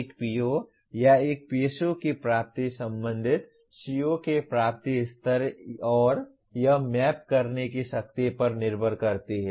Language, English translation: Hindi, The attainment of a PO or a PSO depends on the attainment levels of associated COs and the strength to which it is mapped